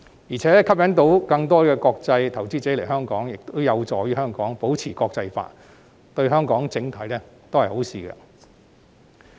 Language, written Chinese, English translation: Cantonese, 再者，能吸引到更多國際投資者前來，亦有助香港保持國際化，對整體都是好事。, Furthermore if more international investors can be attracted to Hong Kong it can also help us maintain our internationality and this is good in an overall sense